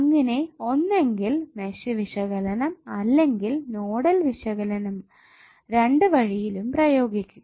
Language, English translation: Malayalam, Now instead of Mesh analysis you can also apply Nodal analysis as well